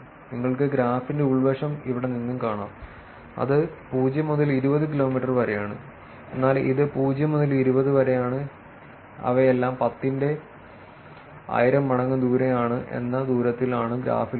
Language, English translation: Malayalam, You can see the inside the graph also here which is from 0 to 20 kilometers, whereas this is 0 to 20, but they are all ten to the power of 1000 kilometers is the distance here